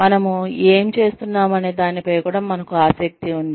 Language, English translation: Telugu, We are also interested in, what we are doing